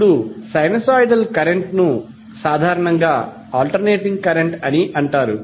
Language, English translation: Telugu, Now, sinusoidal current is usually referred to as alternating current